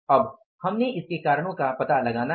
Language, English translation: Hindi, Now we have found out the reasons for this